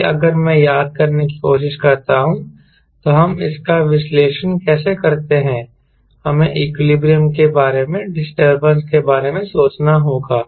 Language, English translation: Hindi, so for that, if i try to recollect how we analyze it was, we have to think in terms of disturbance about equilibrium